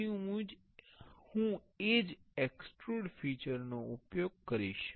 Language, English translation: Gujarati, Then I will use the same extrude feature